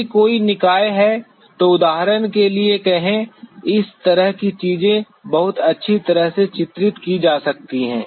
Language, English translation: Hindi, If there is a body, say for example, there is this kind of things could be very well depicted